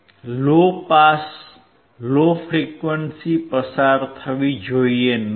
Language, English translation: Gujarati, So, low pass low frequency should not pass